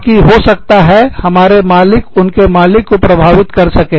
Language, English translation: Hindi, So, that they can be, so that, our bosses can influence, their bosses